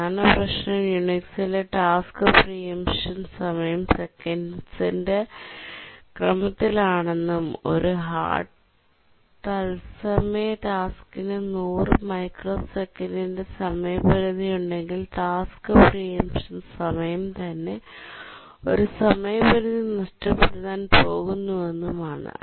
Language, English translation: Malayalam, Now next lecture we'll look at Unix as a real time operating system and we'll see that one of the major problem is that task preemption time in Unix is of the order of a second and therefore if a hard real time task has a deadline of a 100 microsecond or something then the task preemption time itself is going to cause a deadline miss